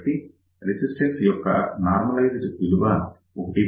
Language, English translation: Telugu, So, the normalized value of resistance is 1